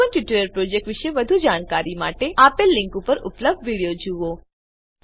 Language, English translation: Gujarati, To know more about the Spoken Tutorial project, watch the video available at the following link